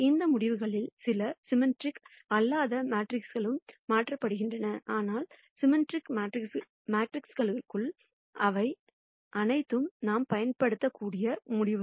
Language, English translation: Tamil, Some of these results translate to non symmetric matrices also, but for symmetric matrices, all of these are results that we can use